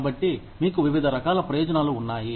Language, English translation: Telugu, So, you have various types of benefits